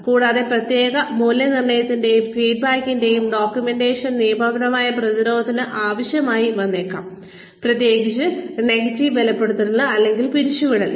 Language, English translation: Malayalam, And, documentation of performance appraisal and feedback, may be needed for legal defense, especially in the case of negative reinforcement or termination